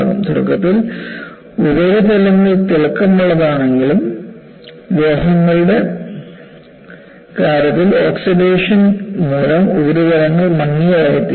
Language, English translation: Malayalam, Though, the surfaces initially are shiny, in the case of metals, the surfaces become dull, due to oxidation